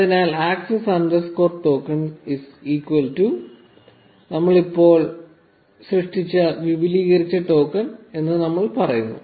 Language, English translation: Malayalam, So, we say access underscore token is equal to this extended token that we just generated